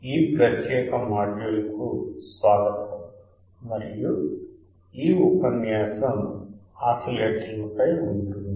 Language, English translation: Telugu, Welcome to this particular module and the lecture is on oscillators